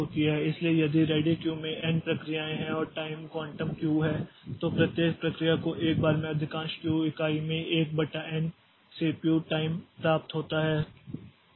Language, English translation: Hindi, So, so if there are n processes in the ready Q and the time quantum is Q then each process gets 1 by n of CPU time in chunks of at most Q units at once